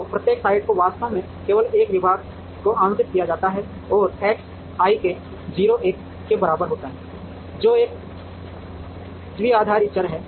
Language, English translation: Hindi, So, every site gets exactly only one department allocated to it and X i k is equal to 0 1, which is a binary variable